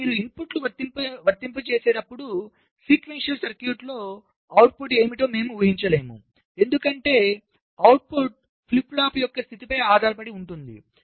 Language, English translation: Telugu, now, in the sequential circuit, when you apply a input, we cannot predict what the output will be, because the output will be dependent on this state of the flip flops